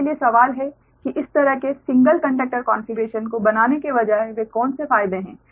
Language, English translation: Hindi, instead of making this kind of single conductor configuration, right